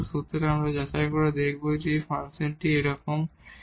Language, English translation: Bengali, So, we will check whether we can find such a A